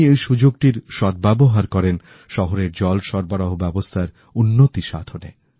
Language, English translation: Bengali, He utilized this opportunity in improving the city's water supply network